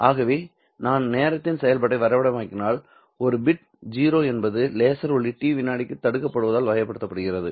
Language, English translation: Tamil, Thus, if I were to graph as a function of time, a bit zero is characterized by the laser light being blocked off for a duration of t seconds